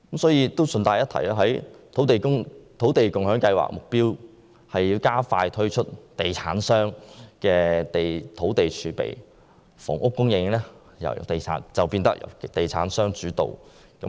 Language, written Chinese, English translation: Cantonese, 順帶一提，土地共享先導計劃的目標是加快推出地產商的土地儲備，如此一來，房屋供應將變得由地產商主導。, By the way the purpose of the Land Sharing Pilot Scheme is to speed up the release of sites held by property developers into the market . In that case the housing supply will be led by property developers